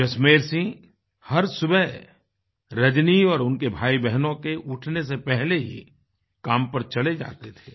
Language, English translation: Hindi, Early every morning, Jasmer Singh used to leave for work before Rajani and her siblings woke up